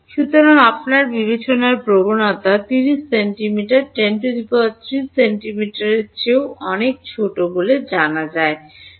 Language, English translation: Bengali, So, your discretization is 30 centimeters say by 10 3 centimeters or even smaller than that let us say a 1 centimeter